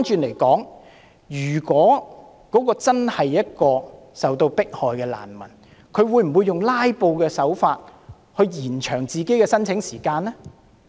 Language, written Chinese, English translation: Cantonese, 相反，一個真正受到迫害的難民，會否用"拉布"的手法延長自己的申請時間？, Put it in another way will genuine refugees who face persecution employ the delaying tactics to prolong the time required for their applications?